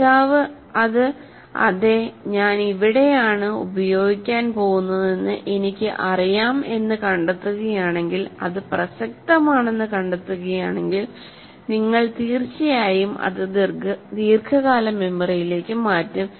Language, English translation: Malayalam, So if the learner finds it, yes, I can see what is the, where I am going to use, you are going to, if you find it relevant, then you will certainly transfer it to the long term memory